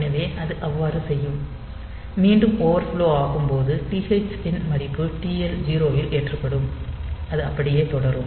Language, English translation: Tamil, So, that way it will so, when there will be overflow again the value will be loaded from TH 0 to TL 0 and it will continue like that